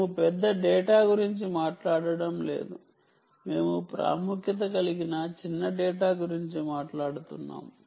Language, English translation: Telugu, we are not talking of large data, we are talking of small amount of data